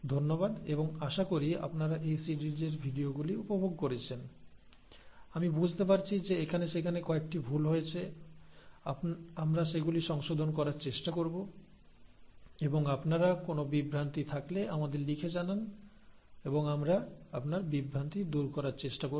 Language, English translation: Bengali, So thank you and hopefully you have enjoyed this series of videos; I do understand there have been a few mistakes here and there, we will try to correct them and if you have any confusions please write back to us and we will try to clarify your confusions